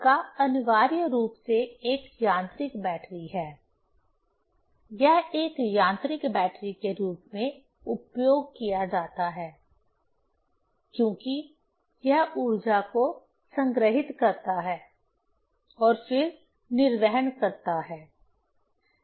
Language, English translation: Hindi, The flywheel is essentially a mechanical battery; it is used as a mechanical battery as it stores the energy and then discharge